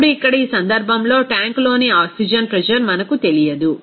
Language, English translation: Telugu, Now, here this case, we do not know the pressure of the oxygen in the tank